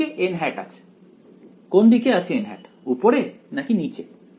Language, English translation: Bengali, Which way is n hat; which way is n hat, upwards or downwards